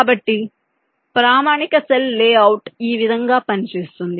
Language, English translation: Telugu, so this is how a standard cell layout works